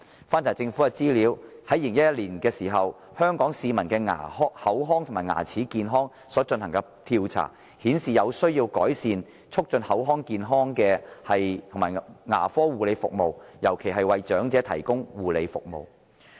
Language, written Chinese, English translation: Cantonese, 翻查政府資料 ，2011 年曾進行有關香港市民的口腔和牙齒健康的調查，結果顯示有需要改善促進口腔健康的牙科護理服務，尤其是為長者提供護理服務。, According to the information of the Government the findings of an Oral Health Survey conducted in 2011 among the people of Hong Kong revealed that there was a need to improve dental care services for purposes of promoting oral health particularly the provision of care services for the elderly